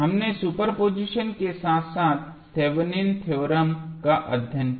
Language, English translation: Hindi, We studied superposition as well as Thevenin's theorem